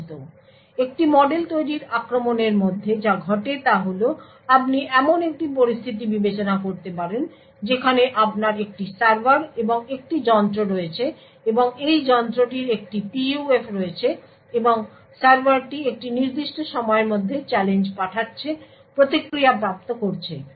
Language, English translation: Bengali, So within a model building attacks what happens is that you could consider a scenario where you have a server and a device, and this device has a PUF and the server over a period of time is sending challenges and obtaining response